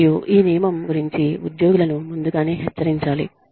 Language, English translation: Telugu, Employee should be warned, ahead of time